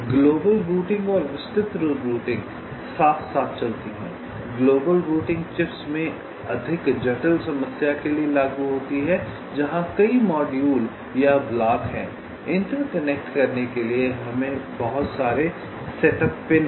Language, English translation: Hindi, global routing says for the more complex problem, in the chips, where there are many modules or blocks, there are lot of set up pins to interconnect